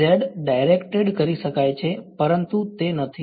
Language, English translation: Gujarati, Could be z directed, but it is not a was